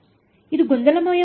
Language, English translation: Kannada, Is this something confusing